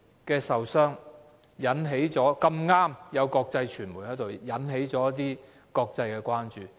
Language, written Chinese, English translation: Cantonese, 事發時剛巧有國際傳媒在場，事件於是引起國際關注。, Incidentally some international media were at the spot when the incident happened and it aroused international concern